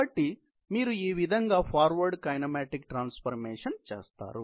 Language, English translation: Telugu, So, that is how you do the forward kinematic transformation